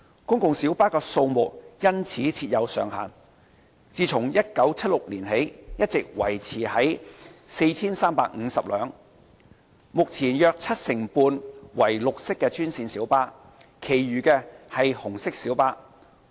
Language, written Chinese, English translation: Cantonese, 公共小巴的數目因此設有上限，自1976年起一直維持在 4,350 輛，目前約七成半為綠色專線小巴，其餘為紅色小巴。, The number of PLBs has thus been subject to a cap of 4 350 since 1976 . At present about 75 % of the PLBs are green minibuses while the rest are red minibuses